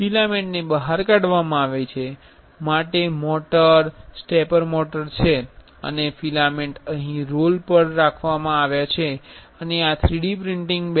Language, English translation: Gujarati, There is a motor, stepper motor for extruding the filament and filament is kept on a roll here and this is the 3D printing bed